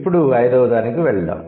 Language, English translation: Telugu, Now let's come to the fifth one